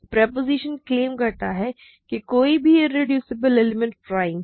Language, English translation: Hindi, The proposition claimed that any irreducible element is prime